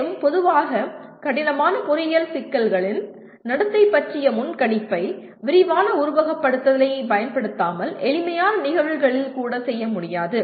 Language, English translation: Tamil, And prediction of behavior of complex engineering problems generally cannot be done even in the simpler cases without using extensive simulation